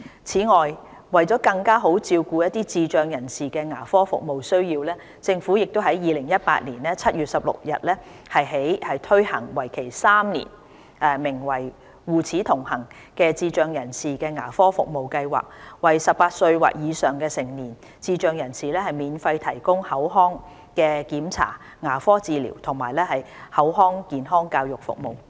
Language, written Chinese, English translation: Cantonese, 此外，為更好照顧智障人士的牙科服務需要，政府於2018年7月16日起推行為期3年，名為"護齒同行"的智障人士牙科服務計劃，為18歲或以上的成年智障人士免費提供口腔檢查、牙科治療及口腔健康教育服務。, To better meet the dental service needs of persons with intellectual disability the Government launched a three - year project on 16 July 2018 for persons with intellectual disability named Healthy Teeth Collaboration to provide free oral check - ups dental treatments and oral health education for adults aged 18 or above with intellectual disability